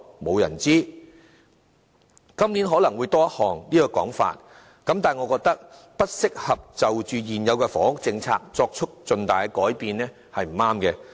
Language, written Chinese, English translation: Cantonese, 這種說法今年可能會更經常出現，但我認為不適宜就現有的房屋政策作出重大改變的說法是不正確的。, A remark like this one will be more frequently heard this year I think it wrong to say that introducing substantial changes to the existing housing policy is not an appropriate thing to do